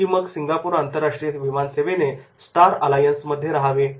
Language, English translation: Marathi, Or should Singapore international airlines stay in the Star Alliance